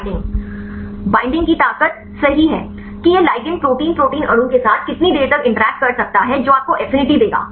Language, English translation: Hindi, The strength of the binding right how far this ligand can interact with the Protein protein molecule right that will give you the affinity